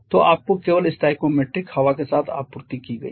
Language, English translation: Hindi, So, in this case how much is your stoichiometric air